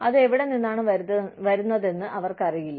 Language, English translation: Malayalam, They do not know, where it is coming from